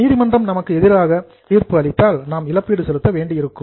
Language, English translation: Tamil, If court gives decision in our favor, we may not have to pay